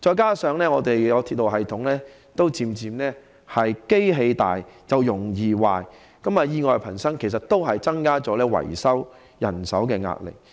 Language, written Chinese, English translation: Cantonese, 況且，鐵路系統已漸漸步入"機械老，容易壞"的情況，以致意外頻生，也增加了維修人手的壓力。, Moreover the railway system has gradually entered the situation of old machines prone to breakdowns so the pressure on repairs and maintenance staff has increased